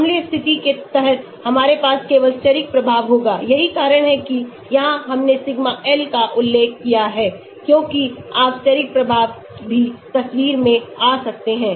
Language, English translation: Hindi, Under acidic condition we will have only steric effect that is why here we mentioned sigma L here because you can also have steric effect also coming into picture